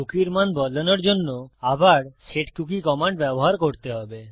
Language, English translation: Bengali, To change the value of a cookie, youll have to use setcookie command again